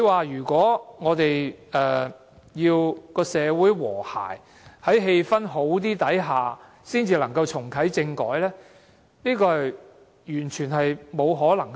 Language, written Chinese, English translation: Cantonese, 如果我們要在社會和諧、氣氛較好的情況下才重啟政改，這是完全不可能的事。, This is caused by the political structure . It is definitely impossible to reactivate constitutional reform in a relatively harmonious social atmosphere